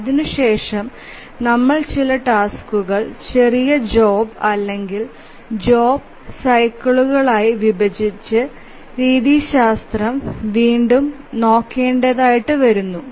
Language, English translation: Malayalam, So, then we need to divide some tasks into smaller jobs or job slices and then retry the methodology